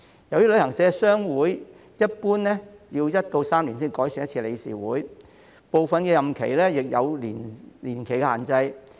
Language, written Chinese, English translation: Cantonese, 由於旅行社商會一般要1至3年才改選一次理事會，部分任期亦有年期限制。, The boards of the trade associations of travel agencies are normally re - elected once every one to three years; some of them also set time limits on the terms of office